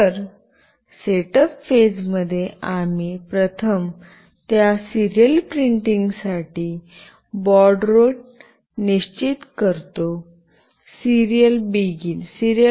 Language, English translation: Marathi, So, in the setup phase we first define the baud rate for that serial printing that is Serial